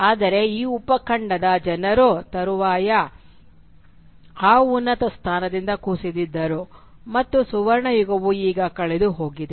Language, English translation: Kannada, But the people of this subcontinent had subsequently fallen from that superior position and the golden age was now lost